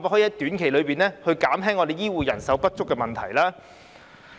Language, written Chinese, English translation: Cantonese, 政府能否在短期內減輕香港醫護人手不足的問題？, Can the Government alleviate the shortage of healthcare workers in Hong Kong in a short time?